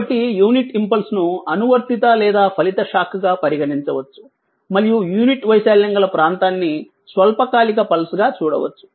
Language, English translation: Telugu, So, the unit impulse may be regarded as an applied or resulting shock and visualized as a very short duration pulse of unit area